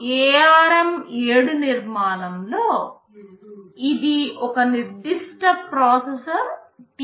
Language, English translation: Telugu, In ARM7 architecture this is one particular processor TDMI